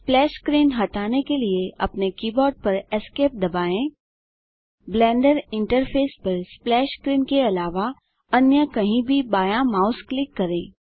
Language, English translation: Hindi, To remove the splash screen, press ESC on your keyboard or left click mouse anywhere on the Blender interface other than splash screen